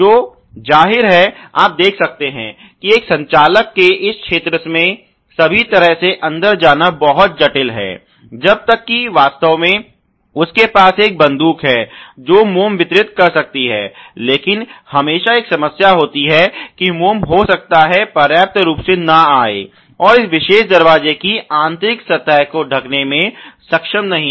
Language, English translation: Hindi, So obviously, you can see that you know it is very complex for an operator to sort of go inside all the way into this region unless really, he has gegh or a gun which can deliver the wax, but there is always a problem that the wax may not be able to sufficiently come and coat the inner surface of this particular door